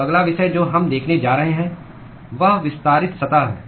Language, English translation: Hindi, So, the next topic that we are going to see is extended surfaces